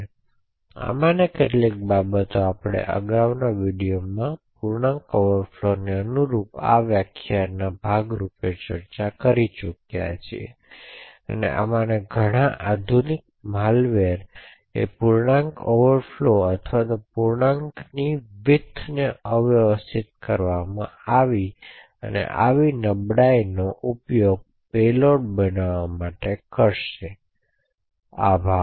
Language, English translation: Gujarati, So some of these things we have actually discussed as part of this lecture corresponding to integer overflow which we have seen in the previous videos and many of these modern malware would use such vulnerabilities in integer overflow or signedness of integer or the width of integer to subvert execution and create payloads, thank you